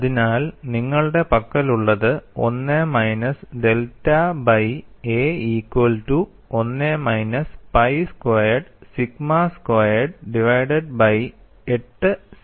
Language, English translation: Malayalam, So, what you have is 1 minus delta by a equal to 1 minus pi square sigma square divided by 8 sigma square ys